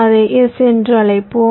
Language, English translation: Tamil, lets call it s